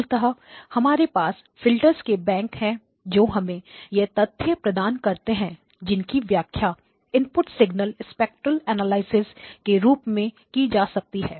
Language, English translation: Hindi, So basically we have a bank of filters which are giving you readings which can be interpreted as the spectral analysis of the input signal, okay